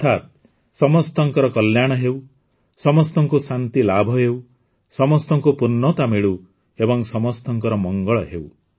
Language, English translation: Odia, That is, there should be welfare of all, peace to all, fulfillment to all and well being for all